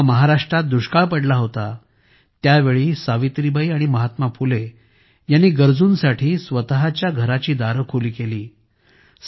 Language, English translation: Marathi, When a famine struck in Maharashtra, Savitribai and Mahatma Phule opened the doors of their homes to help the needy